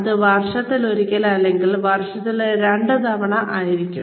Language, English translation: Malayalam, Maybe once a year or maybe twice a year